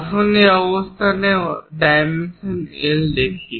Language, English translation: Bengali, Let us look at this position dimensions L